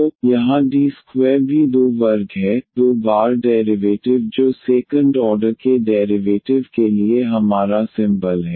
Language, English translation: Hindi, So, here D square is also 2 square; two times the derivative that is our symbol for second order derivatives